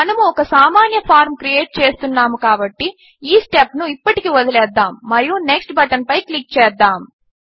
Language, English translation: Telugu, Since we are creating a simple form, let us skip this step for now and simply click on the Next button